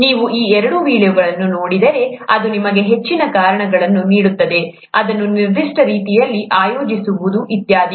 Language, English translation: Kannada, If you look at those two videos, it’ll give you more reasons for, organizing it a certain way, and so on